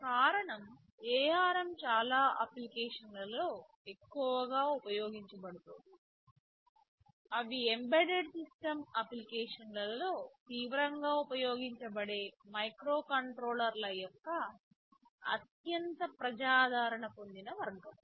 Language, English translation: Telugu, The reason is this ARM have has been this has been you can say increasingly used in many applications, they are the most popular category of microcontrollers which that has are seriously used in embedded system applications